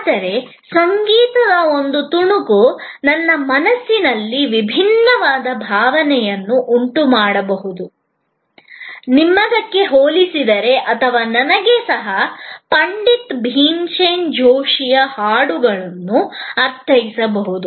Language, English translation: Kannada, Whereas, a piece of music may evoke a different set of emotion in my mind compare to yours or even to me that same bhajan from Pandit Bhimsen Joshi may mean something this morning